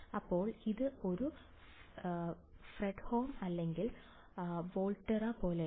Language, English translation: Malayalam, So, does it look like a Fredholm or Volterra